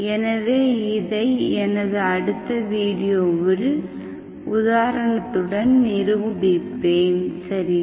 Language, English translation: Tamil, So this I will demonstrate in my next video with an example, okay